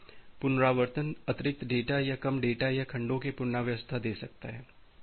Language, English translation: Hindi, So, retransmission may content additional data or less data or rearrangement of the segments